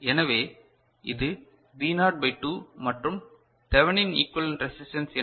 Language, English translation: Tamil, So, this is V naught by 2 fine and what is the Thevenin equivalent resistance